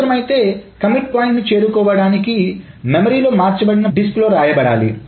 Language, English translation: Telugu, So if necessary to reach the commit point, everything that is changed on the mean memory must be force written on the disk